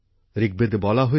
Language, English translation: Bengali, In Rigveda it is said